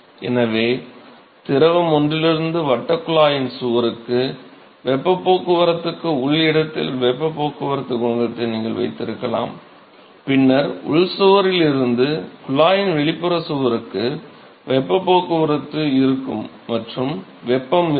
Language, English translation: Tamil, So, you could have a heat transport coefficient at the internal location for heat transport from fluid one to the wall of the circular tube, and then there will be heat transport from the inner wall to the outer wall of the tube and there will be heat transport coefficient for transport of heat from energy from the wall to the outside fluid